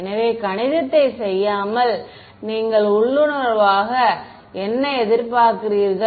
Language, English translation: Tamil, So, without doing the math, what do you intuitively expect